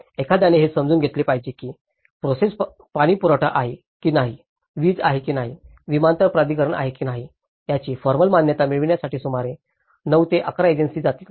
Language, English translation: Marathi, One has to understand that this process will go about 9 to 11 agencies to get a formal approval whether it is a water supply, whether it is electricity, whether it is airport authority